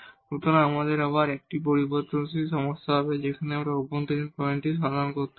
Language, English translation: Bengali, So, we will have again a problem of 1 variable, we have to look for the interior point there